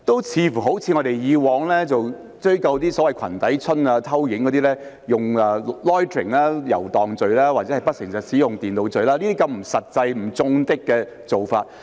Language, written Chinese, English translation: Cantonese, 似乎我們以往想追究所謂"裙底春"、偷拍等，採用以遊蕩罪或不誠實使用電腦罪檢控等不實際、不中的的做法。, It seems that we have pursued upskirting or clandestine photo - taking by adopting such impractical and improper approaches as prosecuting one for loitering or access to computer with dishonest intent